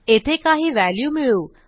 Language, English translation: Marathi, Let me add some value here